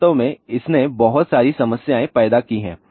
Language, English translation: Hindi, In fact, that has created lot of problems